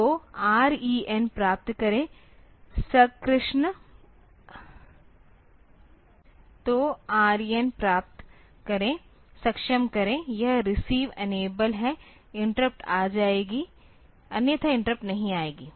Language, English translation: Hindi, So, receive the R E N; receive enable, this is enabled, the interrupt will come; otherwise the interrupt will not come